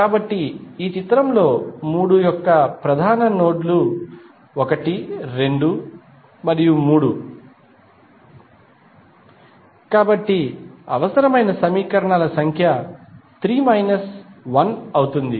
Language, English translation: Telugu, So, in this figure the principal nodes for 3; 1, 2 and 3, so number of equations required would be 3 minus 1